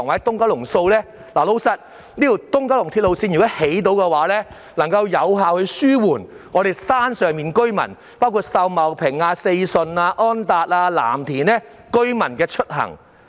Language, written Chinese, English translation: Cantonese, 如能興建東九龍綫，能有效紓緩山上的居民，包括秀茂坪、四順、安達邨和藍田居民的出行。, If the East Kowloon Line can be constructed it can effectively alleviate the transport problems of residents on the hilltop including residents of Sau Mau Ping Sze Shun On Tat Estate and Lam Tin